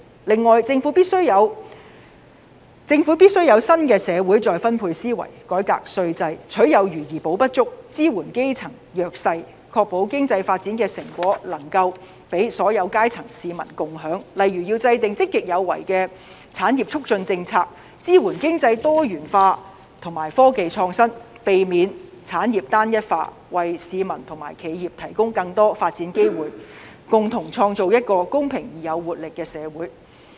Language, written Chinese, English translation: Cantonese, 此外，政府必須有新的社會再分配思維，改革稅制，取有餘而補不足，支援基層弱勢，確保經濟發展的成果能夠讓所有階層的市民共享，例如要制訂積極有為的產業促進政策、支援經濟多元化，以及科技創新，避免產業單一化，為市民和企業提供更多發展機會，共同創造一個公平而具活力的社會。, To make use of the surplus to make up for the deficiency by supporting the grass roots and underprivileged . It should ensure that the fruits of economic development can be shared among people from all walks of life . For example it should formulate a proactive industry facilitation policy to support economic diversity and innovative technologies avoid the homogeneity of industries to provide more development opportunities for the public and to create a fair society with great vitality together with the public